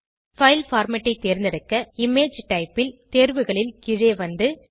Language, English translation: Tamil, To select the file format, scroll down the options on the Image Type